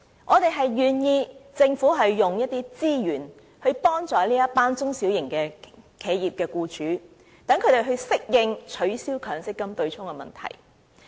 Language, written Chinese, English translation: Cantonese, 我們願意讓政府花一些資源，幫助這群中小企僱主，讓它們適應取消強積金對沖的問題。, We are willing to let the Government allocate certain resources to help these SME employers to adapt to the situation after the abolition of the offsetting mechanism